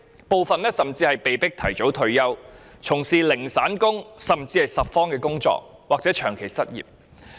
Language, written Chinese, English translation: Cantonese, 部分人甚至被迫提早退休，從事零散工，甚至拾荒或長期失業。, Some of them could only take on causal jobs do scavenging or remain jobless for a prolonged period after being forced to retire early